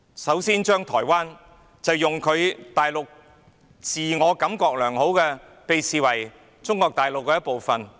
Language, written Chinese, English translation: Cantonese, 首先，大陸自我感覺良好，把台灣視為中國大陸的一部分。, First the Mainland feels good about itself and sees Taiwan as part of Mainland China